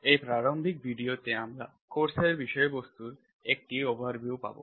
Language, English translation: Bengali, In this introductory video we will have an overview of the contents of the course